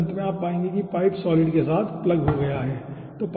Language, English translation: Hindi, okay, and then at the end you will be finding out the pipe has been plugged with the solid